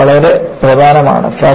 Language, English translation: Malayalam, It is very important